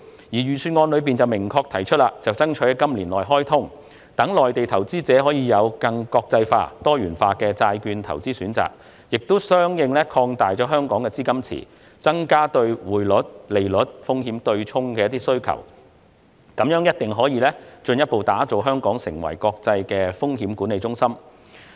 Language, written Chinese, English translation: Cantonese, 預算案明確提出爭取"南向通"在今年內開通，讓內地投資者可以有更國際化、多元化的債券投資選擇，同時相應擴大香港市場的資金池，增加匯率及利率風險對沖的需求，這樣定必可將香港進一步打造為國際風險管理中心。, The Budget expressly proposes that Southbound Trading be targeted for launch within this year which will provide more international and diversified bond investment options for Mainland investors while expanding the liquidity pool of the Hong Kong market correspondingly and bringing more demand for exchange rate and interest rate risk hedging . This will definitely further establish Hong Kong as an international risk management centre